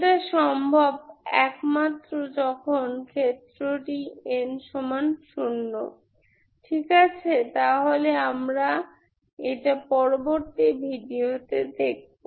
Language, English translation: Bengali, That is possible only when n equal to zero case, Ok, so that we will see in the next video